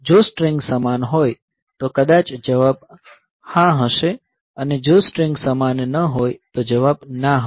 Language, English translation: Gujarati, So, if the strings are same then maybe the answer will be yes and if the strings are not same answer will be no